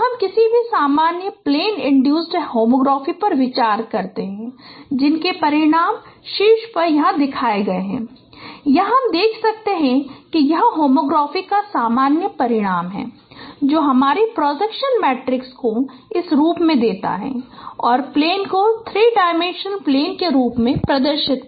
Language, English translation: Hindi, So you consider any general plane induced homography which is the results are shown here at the top here you can see that this is the general result of homography given your projection matrices in this form and also the plane three dimensional plane the representation in this form